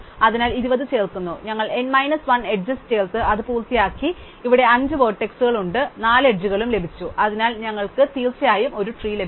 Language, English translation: Malayalam, So, we add 20, now we are done, because we have added n minus 1 edges, there are five vertices, we got 4 edges and therefore, we are definitely got a tree